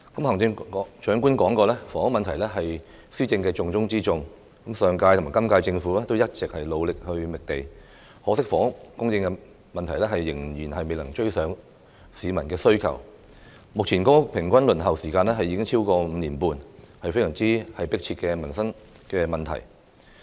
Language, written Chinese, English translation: Cantonese, 行政長官說過，房屋問題是施政的重中之重，上屆和今屆政府一直努力覓地，可惜房屋供應仍未能追上市民的需求，目前公屋平均輪候時間已經超過5年半，是非常迫切的民生問題。, Despite the continuous efforts of the last and current term Governments to seek land housing supply is still unable to catch up with public demand . The average waiting time for public housing has passed five and a half years . It is indeed a pressing livelihood issue